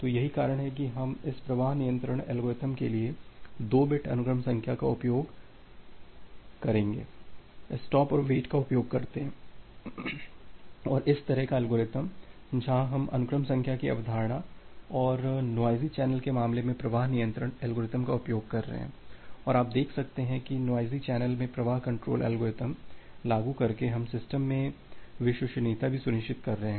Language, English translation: Hindi, So, that is the reason that we use 2 bit sequence number for a this flow control algorithm using stop and wait and this kind of algorithm where we are utilizing the concept of sequence number and applying flow control algorithm in case of a noisy channel, and you can see that by applying this flow control algorithm in a noisy channel, we are also ensuring reliability in the system